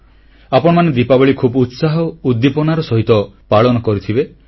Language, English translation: Odia, All of you must have celebrated Deepawali with traditional fervour